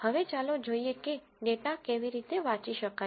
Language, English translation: Gujarati, Now, let us see how to read the data